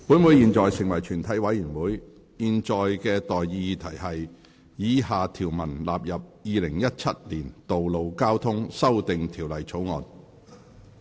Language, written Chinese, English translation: Cantonese, 我現在向各位提出的待議議題是：以下條文納入《2017年道路交通條例草案》。, I now propose the question to you and that is That the following clauses stand part of the Road Traffic Amendment Bill 2017